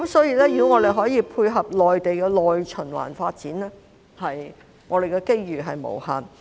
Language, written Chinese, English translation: Cantonese, 如果我們可以配合內地的內循環發展，我們的機遇是無限的。, We will have unlimited opportunities if we can complement the internal circulation development of the Mainland